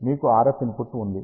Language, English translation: Telugu, You have RF input ah